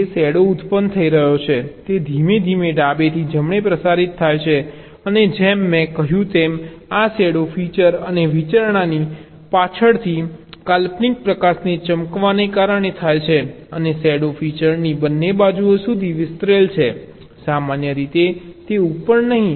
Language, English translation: Gujarati, the shadow which is generating is slowly propagated from left to right and, as i said, this shadow is caused by shining an imaginary light from behind the feature and the consideration and the shadow is extended to both sides of the feature, usually not on the right, right, like, ah, like here